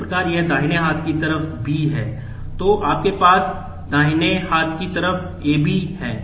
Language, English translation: Hindi, So, in case the right hand side here is B, you have AB on the right hand side